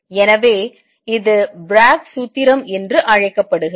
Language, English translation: Tamil, So, this is known as Bragg formula